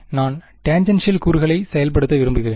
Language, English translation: Tamil, I want to enforce tangential components